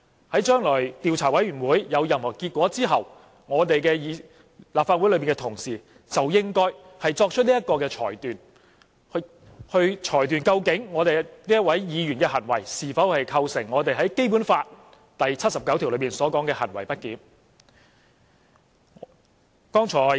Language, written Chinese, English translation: Cantonese, 在將來的調查委員會公布調查結果之後，立法會的同事就應該作出裁決，究竟這位議員的行為是否構成《基本法》第七十九條所述的行為不檢。, After the investigation committee has announced the results of investigation in the future honourable colleagues of the Legislative Council should then make a judgment to determine if such a Members behaviour constitutes misbehaviour as stated in Article 79 of the Basic Law